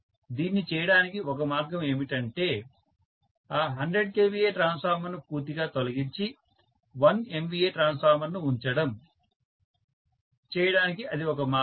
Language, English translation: Telugu, One way of doing it is to remove that 100 kVA transformer completely and put 1 MVA transformer, that is one way of doing it